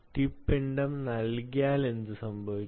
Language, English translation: Malayalam, what happen if you don't put the tip mass